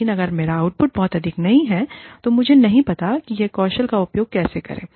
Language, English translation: Hindi, But, if my output is not very high, then i do not know, how to use that skill